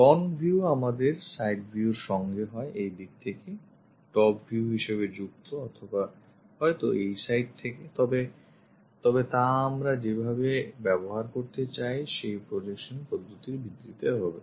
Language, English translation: Bengali, Front view associated with with our side views either top view, on this side or perhaps on this side based on the projection method, what we are trying to use it